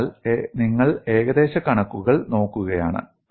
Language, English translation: Malayalam, So, you are looking at the approximations